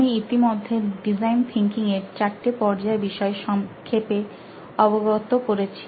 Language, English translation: Bengali, I have already briefed you about four stages of design thinking